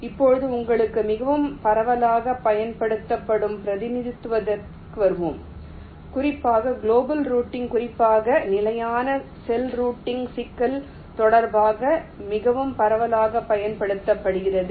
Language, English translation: Tamil, fine, now let us come to the representation which is most widely used, for you can say global routing, particularly in connection with the standard cell routing problem, which is most widely used